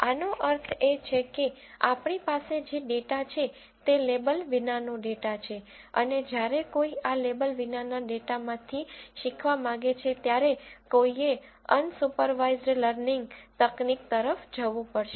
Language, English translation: Gujarati, This means the data what we have is an unlabeled data and when one wants to learn from this unlabeled data, one has to go for unsupervised learning techniques